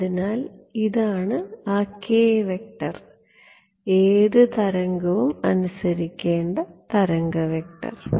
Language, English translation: Malayalam, So, this is that k vector, the wave vector that has to be obeyed by any wave